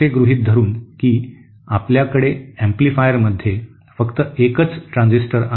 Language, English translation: Marathi, So here, if the transistorÉ Assuming that you know we have only a single transistor in an amplifier